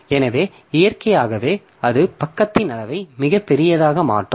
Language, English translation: Tamil, So, naturally, that will making the page size to be very, very large